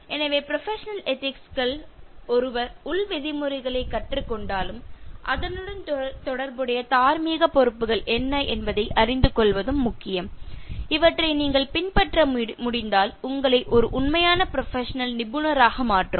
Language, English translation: Tamil, So professional ethics, although one learns the in house norms it is also important to know what are the moral responsibilities which are associated with that, that if you are able to follow will make you a real professional